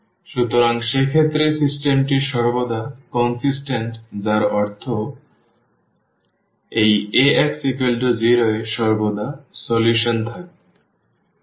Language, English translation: Bengali, So, in that case the system is always consistent meaning this Ax is equal to 0 will have always a solution